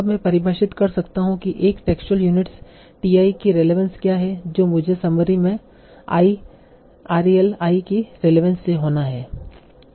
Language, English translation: Hindi, Now let us say I can define what is the relevance of a texture unit TI in the to be in the summary by the relevance of I, RALI